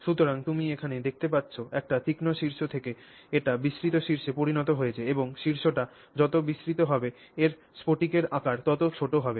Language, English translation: Bengali, So, you can see here from a sharp peak it becomes broader and broader peak and the broader the peak it is the smaller the crystal sizes that you have accomplished the particle size